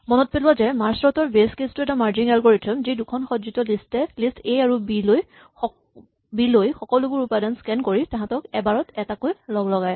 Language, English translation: Assamese, Recall that merge sort as its base a merging algorithm which takes two sorted lists, A and B and combines them one at a time by doing a scan over all elements